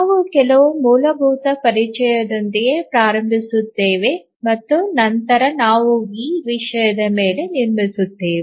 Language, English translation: Kannada, Today we will start with some basic introduction and then we will build on this topic